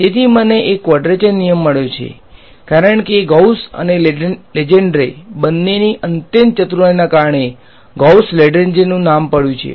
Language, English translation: Gujarati, So, I have got a quadrature rule because, of the extreme cleverness of both Gauss and Lengedre the name of Gauss Lengedre goes after them